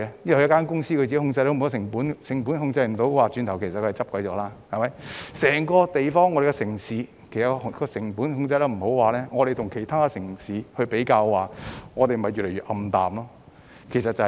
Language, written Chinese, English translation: Cantonese, 如果一間公司未能控制成本，轉眼便會倒閉；如果整個城市未能控制成本，相比其他城市，前景便會越來越暗淡，情況就是這樣。, If a company fails to control its costs it will close down in the split of a second . If an entire city fails to control its cost its future will become increasingly gloomy compared with other cities . This is the situation